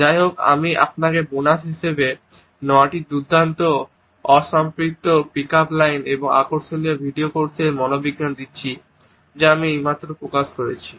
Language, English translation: Bengali, By the way I give you 9 great unsaturated pick up lines as a bonus and the psychology of attraction video course I just released